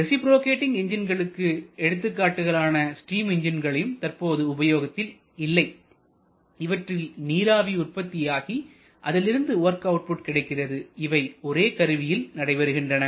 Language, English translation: Tamil, Reciprocating examples can be steam engines which is virtually obsolete nowadays where we have the steam production and work output from done in the same device